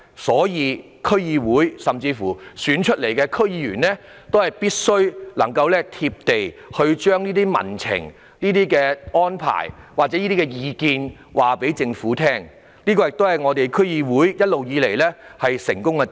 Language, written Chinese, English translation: Cantonese, 因此，區議會及經由投票選出的區議員必須"貼地"，將民情或意見向政府反映，這亦是一直以來區議會的成功之處。, Therefore DCs and directly - elected DC members must be down - to - earth and relay public sentiment or views to the Government which has always been the success of DCs